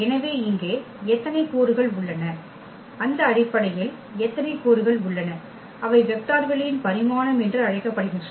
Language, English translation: Tamil, So, here the number how many elements are there, how many elements are there in that basis that is called the dimension of the vector space